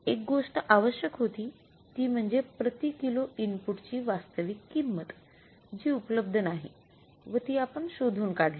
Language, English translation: Marathi, One thing which was required that is the actual price per kg of the input that was not available so we have found it out